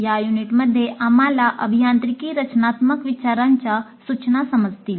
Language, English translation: Marathi, And in this unit, we'll understand instruction for engineering, design thinking